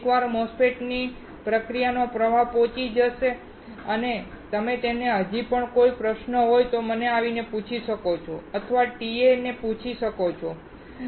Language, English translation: Gujarati, Once we reach MOSFET process flow and if you still have any question, you can ask me or ask the TA